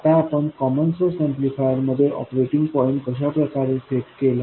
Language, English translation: Marathi, Now how did we set up the operating point in our common source amplifier